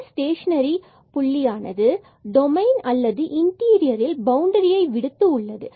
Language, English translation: Tamil, So, this here is the stationary point in the domain or in the interior of this domain excluding the boundary